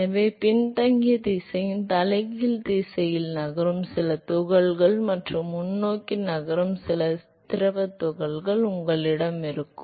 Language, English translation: Tamil, So, you will have some particles which is moving in the reverse direction of the backward direction and some fluid particles which is moving in the forward direction